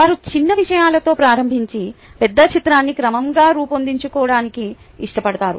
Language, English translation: Telugu, ok, they like to start with small things and then build up the big picture gradually